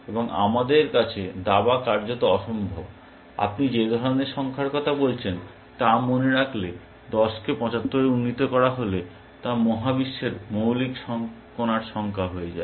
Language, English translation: Bengali, ) chess is practically impossible, if you remember the kind of numbers you are talking about, 10 raise to 75 is the number of fundamental particles in the universe